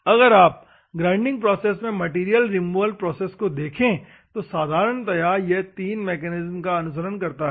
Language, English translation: Hindi, If you see the material removal process in the grinding process, normally it follows three mechanisms